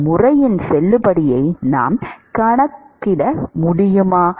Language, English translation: Tamil, Can we quantify the validity of this method